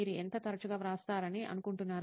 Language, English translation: Telugu, How frequently do you think you write